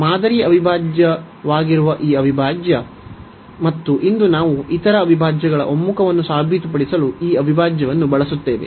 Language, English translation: Kannada, So, this integral which is the test integral, and today we will use this integral to prove the convergence of other integrals